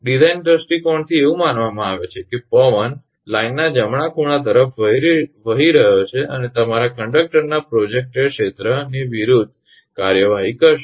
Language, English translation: Gujarati, From the design point of view it is considered that that the wind is blowing at right angles of the line right and to act against the your projected area of the conductor